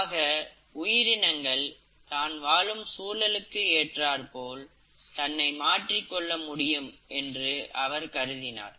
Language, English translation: Tamil, So he suggested that the species can adapt to the changing environment